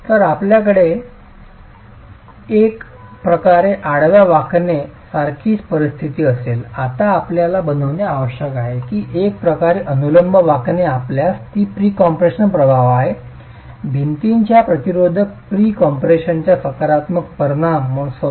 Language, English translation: Marathi, Now the point that we need to make is that in one way vertical bending you do have the effect of pre compression, the positive effect of pre compression on the resistance of the wall itself